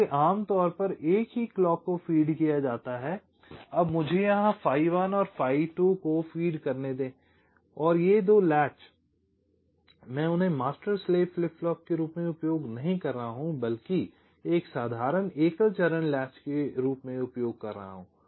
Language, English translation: Hindi, what i am saying is that now let me feed phi one here and phi two here and these two latches i am not using them as master slave flip flop, but aS simple single stage latches, single stage latch